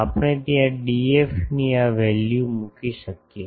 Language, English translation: Gujarati, So, we can put this value of D f there